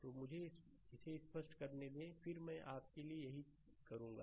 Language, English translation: Hindi, So, let me let me clear it, then again again I will do it for you, right